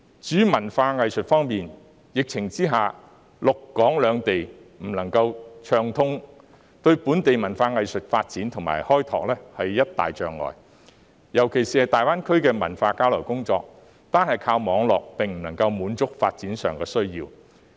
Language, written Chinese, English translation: Cantonese, 至於文化藝術方面，在疫情之下，陸港兩地不能暢通，對本地文化藝術發展和開拓是一大障礙，尤其是大灣區的文化交流工作，單靠網絡無法滿足發展需要。, In respect of culture and arts due to the epidemic the lack of smooth exchange between the Mainland and Hong Kong under the epidemic is a big obstacle to the development and expansion of local culture and arts . This is particularly the case for cultural exchanges in the Greater Bay Area as online exchanges cannot meet the development needs